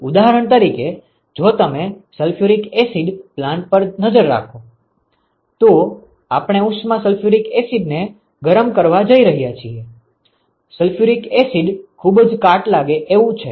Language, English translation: Gujarati, For example, if you look at sulphuric acid plant, we want to heat the heat sulphuric acid sulphuric acid is very corrosive